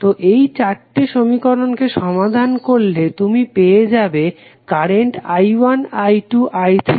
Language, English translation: Bengali, So, you solve these four equations you will get the values for current i 1, i 2, i 3 and i 4